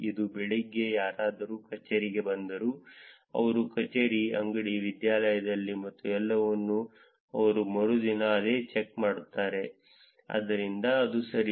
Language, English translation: Kannada, If somebody checks into office in the morning today that they have got into the office, shop, institute and everything they do the same check in the next day, so that is what this means right